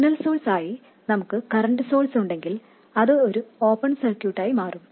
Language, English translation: Malayalam, If you had a current source as the signal source it would become an open circuit